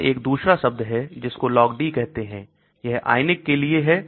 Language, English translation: Hindi, There is another term called Log D that is for ionised